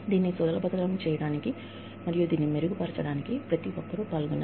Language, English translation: Telugu, In order to facilitate this, and make this better, everybody has to be involved